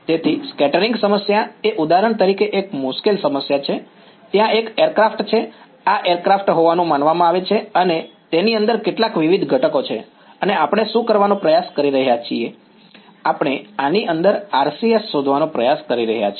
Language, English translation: Gujarati, So, scattering problem a typical problem is for example, there is a aircraft right, this is supposed to be an aircraft and it has some various components inside it and what are we trying to do, we are trying to find out the RCS of this object now, if I were to solve this